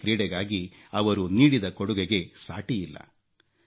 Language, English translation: Kannada, His contribution to hockey was unparalleled